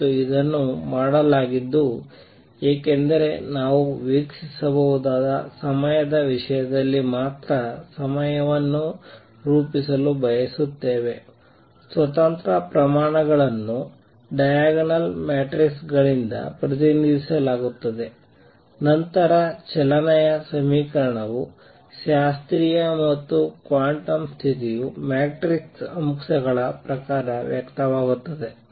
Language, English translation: Kannada, And that is done because we want to formulate problem only in terms of observables time independent quantities are represented by diagonal matrices, then equation of motion is classical and quantum condition expressed in terms of the matrix elements